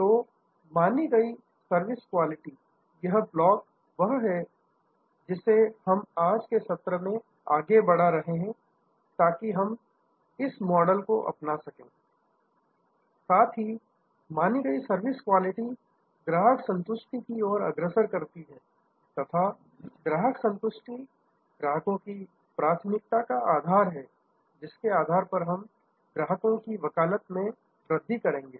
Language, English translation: Hindi, So, perceived service quality, this block, this is what we are progressing our today session is going to adopt this model that perceived service quality leads to customer satisfaction and customer satisfaction is the bedrock for customer preference, which we will then bloom into customer advocacy